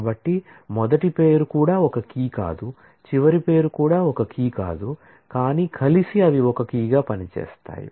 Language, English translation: Telugu, So, first name itself cannot be a key last name itself cannot be a key, but together